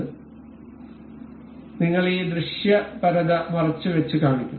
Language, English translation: Malayalam, For that we will go to this visibility hide and show